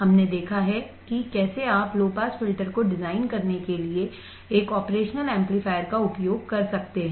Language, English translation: Hindi, We have seen how you can use an operational amplifier for designing the low pass filter